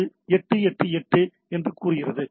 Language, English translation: Tamil, So, it has to be equal on 8 8 8 8